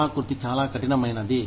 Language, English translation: Telugu, The topography is very rugged